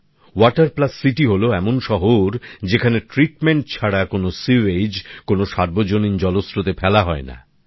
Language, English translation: Bengali, 'Water Plus City' means a city where no sewage is dumped into any public water source without treatment